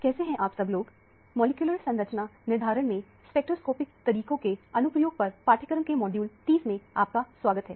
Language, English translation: Hindi, Hello, welcome to module 30 of the course on Application of Spectroscopic Methods in Molecular Structure Determination